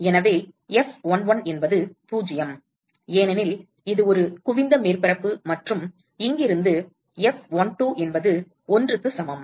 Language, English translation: Tamil, So, F11 is 0, because it is a convex surface and from here F12 equal to 1